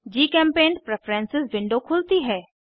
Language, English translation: Hindi, GChemPaint Preferences window opens